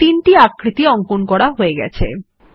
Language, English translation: Bengali, Now, we have inserted three shapes